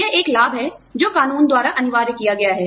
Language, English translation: Hindi, It is a benefit that, has been mandated by law